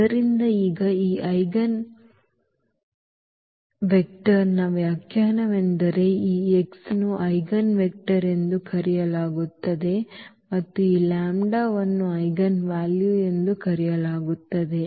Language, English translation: Kannada, So, that is the definition now of this eigenvector this x is called the eigenvector and this lambda is called the eigenvalue